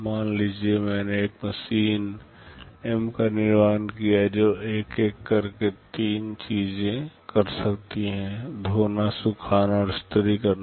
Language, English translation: Hindi, Suppose I have built a machine M that can do three things one by one, wash, dry and iron